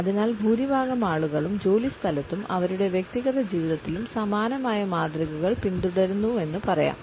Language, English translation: Malayalam, So, to say that the majority of the people follow similar patterns at workplace and in their personal lives also